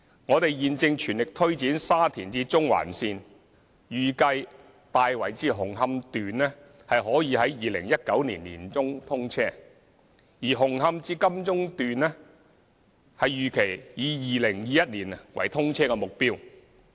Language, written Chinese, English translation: Cantonese, 我們現正全力推展沙田至中環線，預計"大圍至紅磡段"可於2019年年中通車，而"紅磡至金鐘段"預期以2021年為通車目標。, We are now trying our best to take forward the Shatin to Central Link project . It is anticipated that the Tai Wai to Hung Hom section will be commissioned in mid - 2019 while the target commissioning date of the Hung Hom to Admiralty Section is 2021